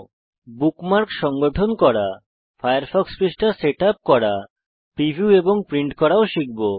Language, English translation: Bengali, We will also learn, how to: Organize Bookmarks, Setup up the Firefox Page, Preview and Print it